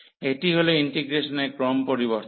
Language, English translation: Bengali, So, that is the change of order of integration